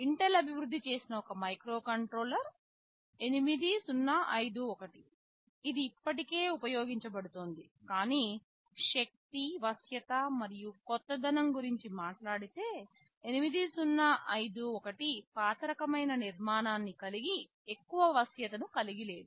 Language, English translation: Telugu, There was one microcontroller which was developed by Intel, it was 8051, it is still being used, but talking about the power, flexibility and innovativeness, 8051 has an old kind of an architecture, it does not have too much flexibility